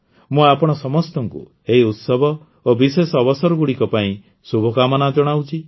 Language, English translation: Odia, I wish you all the best for these festivals and special occasions